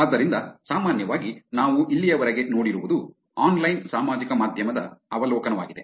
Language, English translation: Kannada, So, what we have seen until now is generally, overview of online social media